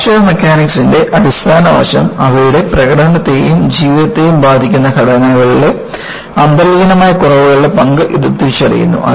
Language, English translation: Malayalam, So, the fundamental aspect of Fracture Mechanics is, it recognizes the role of inherent flaws in structures that affect their performance and life